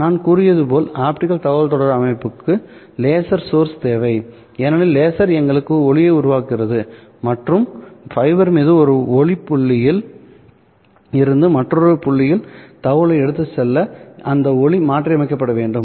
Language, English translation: Tamil, As I have said, optical communication systems require a laser source because it is the laser which produces light and that light would have to be modulated in order to carry information from one point to other point over the fiber